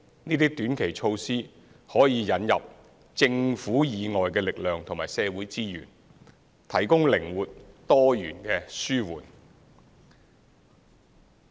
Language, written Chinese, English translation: Cantonese, 這些短期措施可以引入政府以外的力量和社會資源，提供靈活、多元的紓緩。, With these short - term measures forces and social resources outside the Government can be introduced to provide alleviation in a flexible and diversified manner